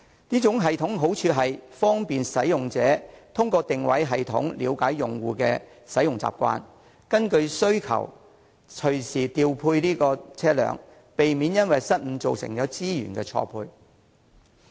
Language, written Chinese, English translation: Cantonese, 這種系統的好處是方便使用者，並可通過定位系統了解用戶的使用習慣，根據需求隨時調配車輛，避免因為失誤造成資源錯配。, The merit of this system is that it is convenient to users . It can also learn about the users habit of using the service through the positioning system and deploy the bikes in light of the demand at any time thus avoiding mismatch of resources caused by blunders